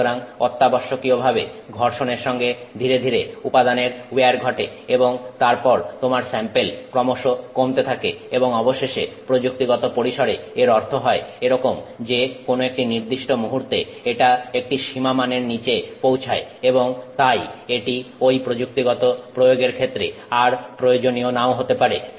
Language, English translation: Bengali, So, essentially with friction, slowly material wears off and then you are having less and less of that sample and eventually in a technological circumstance what this means is that at some point it will go below some tolerance value and it may no longer be useful in that technological application